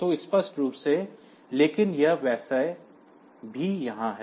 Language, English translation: Hindi, So, explicitly, but it is just here anyway